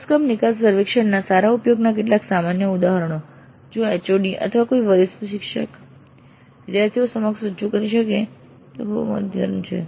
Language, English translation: Gujarati, So, some typical instances of good use of course exit survey if the HOD or if some senior faculty can present it to the students it would be very helpful